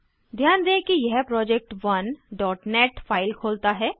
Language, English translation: Hindi, Notice that it opens project1.net file